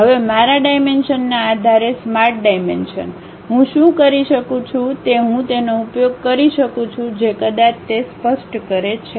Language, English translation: Gujarati, Now, based on my dimensions Smart Dimension, what I can do is I can use that maybe specify that